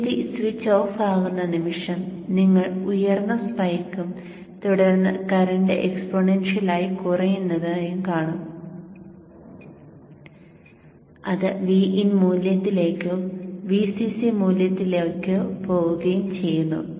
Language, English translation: Malayalam, Then the moment the BJT switches off, so you see a high spike and then the current decays exponentially and goes towards VIN value or VCC value